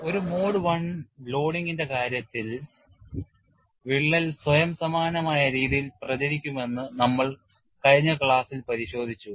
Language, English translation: Malayalam, We have looked at in the last class that in the case of a mode one loading, the crack will propagate in a self similar manner